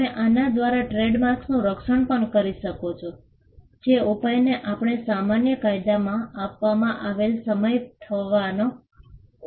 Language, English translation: Gujarati, You can also protect trademarks by, what we call the remedy that is offered in common law that is the remedy of passing off